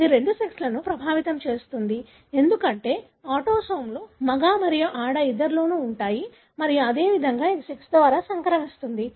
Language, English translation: Telugu, Affects either sex, because autosomes are present in both male and female and likewise it is transmitted by either sex